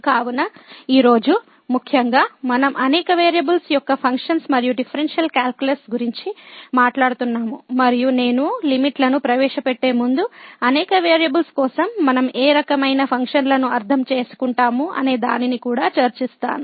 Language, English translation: Telugu, So, today in particular we are talking about now the Differential Calculus and Functions of Several Variables and before I introduce the limits, I will also discuss what type of these functions we mean for the several variables